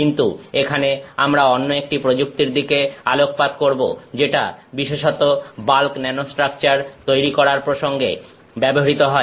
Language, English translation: Bengali, But here we will focus on another technique which is particularly used for in the context of making bulk nanostructures